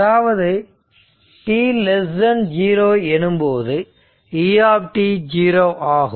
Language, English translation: Tamil, Now, at t is equal to 0